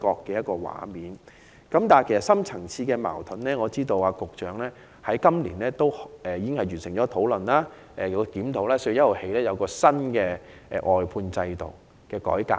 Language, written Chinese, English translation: Cantonese, 至於當中的深層次矛盾，我知道局長在今年已完成討論和檢討，並自4月1日起推出外判制度改革。, Regarding the deep - rooted conflicts I know that the Secretary already completed the relevant discussion and review earlier this year and has introduced a reform of the outsourcing system since 1 April